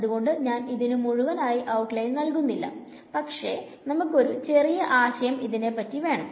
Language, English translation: Malayalam, So, I will not outline it fully, but we will just have a brief idea of it